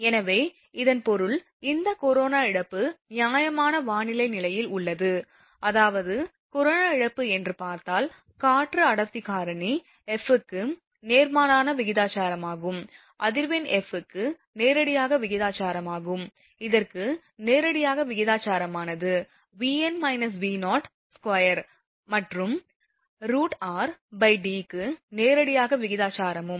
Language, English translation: Tamil, So, that means, this corona loss it is under fair weather conditions; that means, corona loss if you look into that is inversely proportional to the delta that is air density factor, directly proportional to the frequency, directly proportional to this V n minus V 0 square and also directly proportional to your root over r by D